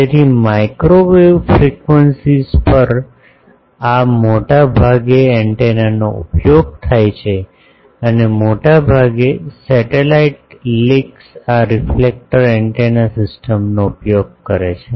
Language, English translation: Gujarati, So, at microwave frequencies this is mostly used antenna and majority of satellite links use this reflector antenna systems